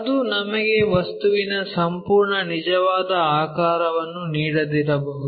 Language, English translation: Kannada, They might not give us complete true shape of the object